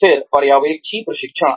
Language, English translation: Hindi, Then, supervisory training